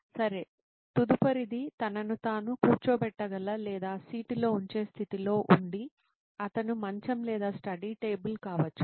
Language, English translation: Telugu, Ok, next would be probably placing himself in a position where he can seat in or seat and study which could be he is bed or study table